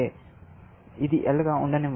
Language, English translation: Telugu, So, let us say, this is L